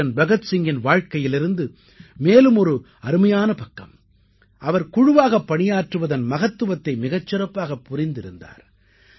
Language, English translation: Tamil, Another appealing aspect of Shahid Veer Bhagat Singh's life is that he appreciated the importance of teamwork